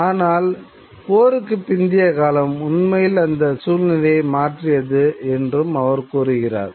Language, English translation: Tamil, You know, and the post war period actually changed that particular situation